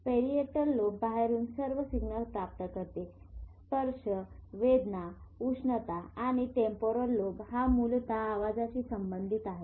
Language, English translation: Marathi, Parietal lobe receives all signals from outside, touch, pain, heat, and temporal lobe essentially sound